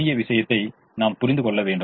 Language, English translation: Tamil, we also need to understand the little thing now